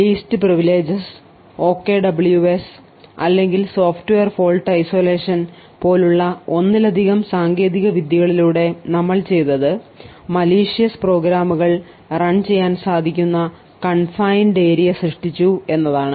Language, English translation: Malayalam, So, what we did through multiple techniques such as least privileges or the OKWS or the software fault isolation we had created confined areas which executed the possibly malicious programs